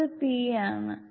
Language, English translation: Malayalam, No this is p